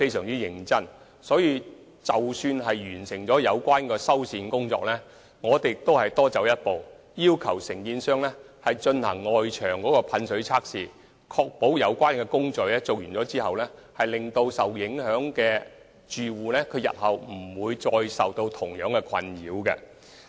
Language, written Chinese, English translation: Cantonese, 為此，在完成有關的修繕工作後，我們會多走一步，要求承建商進行外牆噴水測試，以確保在有關工程完成後，受影響的住戶不會再受到相同的困擾。, Therefore after the completion of the repair works we went a step further and asked the contractor to conduct water tightness tests at the external walls so as to ensure that the affected residents will not be plagued by the same nuisance again after the completion of works